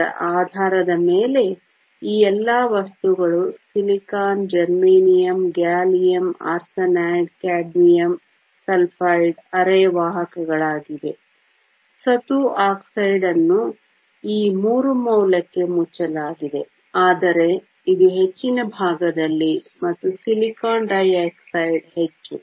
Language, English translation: Kannada, Based upon this, all this materials silicon, germanium, gallium arsenide, cadmium sulfide are semiconductors, zinc oxide is closed to this value of three, but it is on the higher side and silicon dioxide is much higher